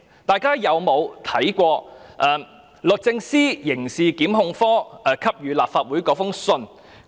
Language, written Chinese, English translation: Cantonese, 大家曾否看過律政司刑事檢控科給予立法會的信件？, Have Members read the letter from the Prosecutions Division of the Department of Justice DoJ to the Legislative Council?